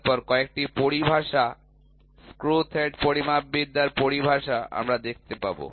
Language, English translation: Bengali, Then, some of the terminologies screw thread metrology terminologies we will see